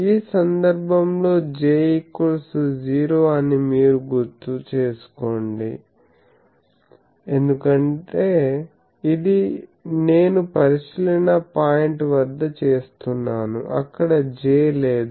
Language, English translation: Telugu, You remember that in this case J is 0 because this I am doing at the observation point there is no J